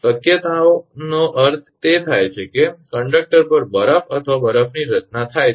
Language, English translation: Gujarati, possibility means it will happen that ice or snow formation on the conductor